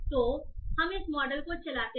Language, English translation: Hindi, So let us run this model